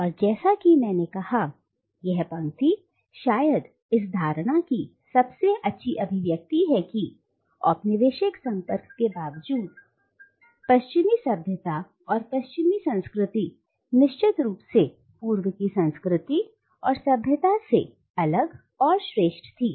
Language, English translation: Hindi, And as I said, this line is perhaps the best expression of the notion that in spite of the colonial contact, the Western civilisation and Western culture of the coloniser was distinct and superior to the culture and civilizational values of the colonised East